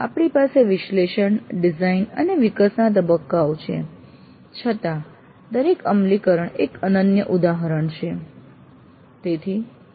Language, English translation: Gujarati, Though we have the analysis, design and develop phase, each implementation is a unique instance